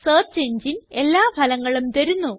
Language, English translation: Malayalam, The search engine brings up all the results